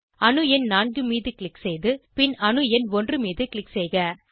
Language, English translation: Tamil, Click on the atom number 4, and then on atom number 1